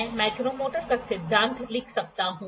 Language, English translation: Hindi, I can write the principle of micrometer